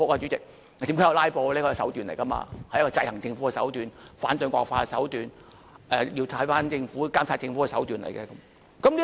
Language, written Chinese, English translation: Cantonese, 怎樣看"拉布"，這是手段來的，是一個制衡政府的手段，反對惡法的手段，監察政府的手段來的。, How should we treat a filibuster? . A filibuster is an approach to exercise checks and balances on the Government to fight against draconian law and to monitor the Government